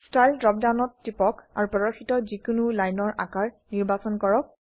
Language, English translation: Assamese, Click on Style drop down and select any of the line styles shown